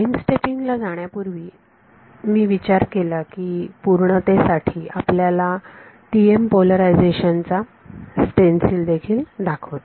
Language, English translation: Marathi, Before we move to Time Stepping, I thought at of just for sake of completeness I will also show you the stencil for TM polarization